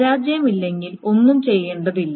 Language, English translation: Malayalam, If there is no failure, then nothing needs to be done